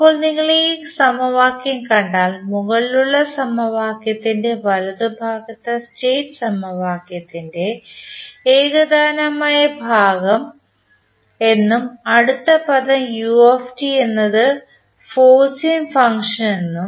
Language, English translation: Malayalam, Now, if you see this particular equation the right hand side of the above equation is known as homogeneous part of the state equation and next term is forcing function that is ut